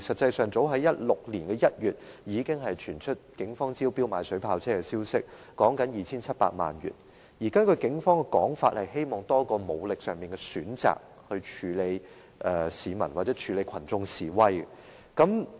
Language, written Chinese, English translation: Cantonese, 早於2016年1月，已經傳出警方斥資 2,700 萬元招標購買水炮車的消息，警方表示希望多一項武力上的選擇，以處理群眾示威。, In as early as January 2016 there had been news that the Police would conduct a tender exercise for the acquisition of water cannon vehicles with a total amount reaching 27 million . The Police have indicated that they wish to have another option for the use of force in their handling of demonstrators